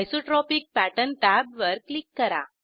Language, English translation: Marathi, Click on the Isotropic Pattern tab